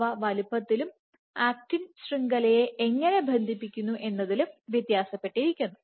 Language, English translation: Malayalam, So, they differ in their sizes, in how they cross link the actin network so on and so forth